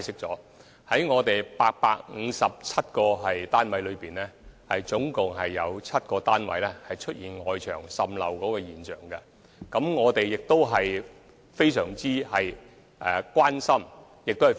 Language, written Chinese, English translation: Cantonese, 在857個單位中，有7個單位牆身出現滲漏，我們對此非常關注。, Among the 857 flats seven of them were found to have water seepage at the walls . We were very concerned about the defects